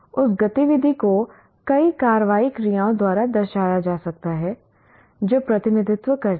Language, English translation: Hindi, Now that activity can be characterized by many action verbs that represent